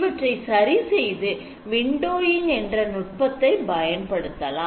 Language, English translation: Tamil, So to improve upon this we use windowing